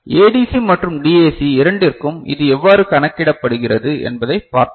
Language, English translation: Tamil, And we have seen it how it is calculated for both ADC and DAC